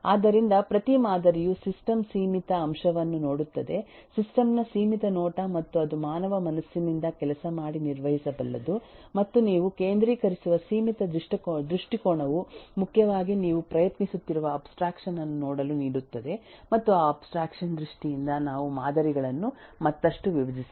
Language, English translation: Kannada, So, every model looks at the limited aspect of the system, a limited view of the system and that is what makes it manageable by the human mind to work with and that limited view that you focus on primarily gives you the abstraction that you are trying to look at and the terms of arri arriving at that abstraction we can decompose the models further